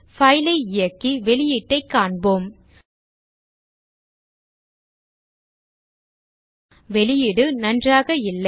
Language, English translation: Tamil, So Let us run the file to see the output